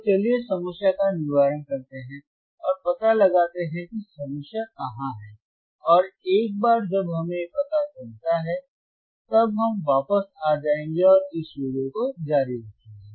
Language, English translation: Hindi, So, let us troubleshoot the problem let us troubleshoot the problem and find out where is the problem lies and once we find out we will get back and continue this video